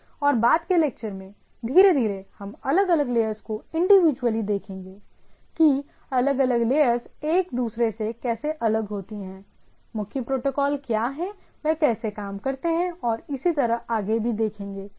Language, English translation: Hindi, And in the subsequent lecture slowly what will start we will look at different layers individually right, that how different layers individually what are the different properties, what are the predominant protocols, how they work and so on and so forth right